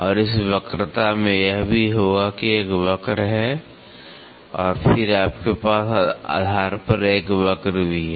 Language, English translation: Hindi, And, this curvature will also have this there is a curve and then you also have a curve at the base